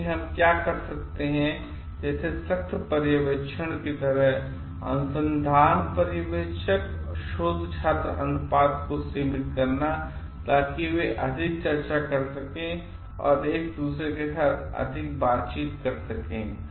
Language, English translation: Hindi, So, what we can do is like strict supervision when restricting the guide scholar ratio, so that they can discuss more, interact more with each other